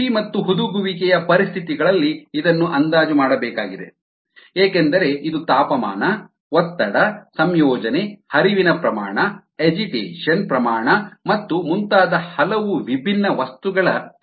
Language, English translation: Kannada, it needs to be estimated at the conditions of cultivation and fermentation, because it's it's the function so many different things: temperature, pressure, ah composition, the flouriate, the agitation rate and so on